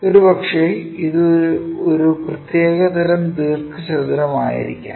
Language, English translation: Malayalam, Possibly, it might be such kind of rectangle, this is the rectangle